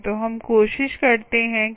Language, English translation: Hindi, so lets try that